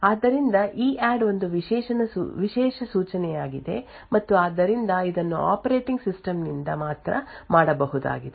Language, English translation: Kannada, So EADD is also a privileged instruction and therefore it can only be done by operating system